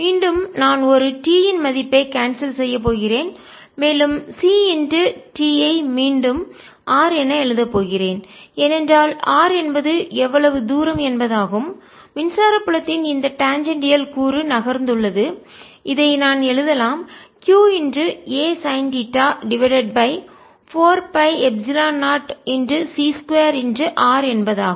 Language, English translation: Tamil, again, i'm going to cancel one of the t's and right c t has r can, because r is the distance of which this tangential component of electric field has moved, and i can write this as q a sin theta divided by four pi epsilon zero, c square, r